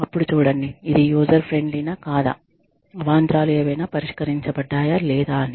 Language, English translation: Telugu, Then see, whether it is user friendly or not, whether any glitches are resolved or not